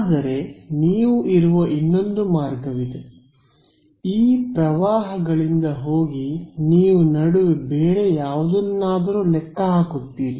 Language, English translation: Kannada, But there is another route where you go from these currents you would calculate something else in between